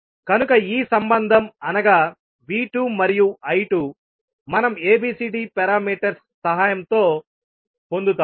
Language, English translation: Telugu, So this relationship V 2 and I 2 we will get with the help of ABCD parameters